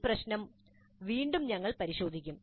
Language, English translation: Malayalam, So this issue again we'll look into later